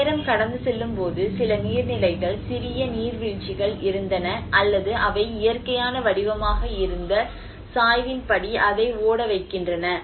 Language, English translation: Tamil, \ \ \ And as the time passed on obviously there has been some water bodies, small waterfalls or they keep channeling it as per the slope and the gradient which has been a natural form